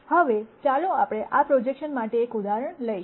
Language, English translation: Gujarati, Now, let us move on to doing an example for this projection